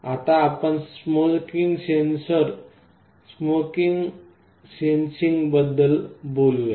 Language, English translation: Marathi, Next let us talk about smoke sensing